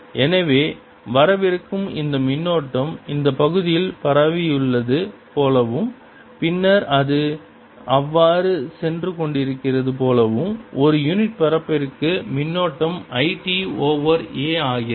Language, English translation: Tamil, so it is as if this current which is coming in has spread over this area, a, and then it's going through, so the current per unit area becomes i t over a